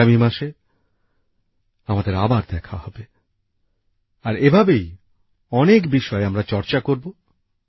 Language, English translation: Bengali, We'll meet again next month, and we'll once again discuss many such topics